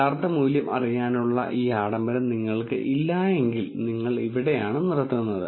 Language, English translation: Malayalam, When you do not have this luxury of knowing the true value this is where you stop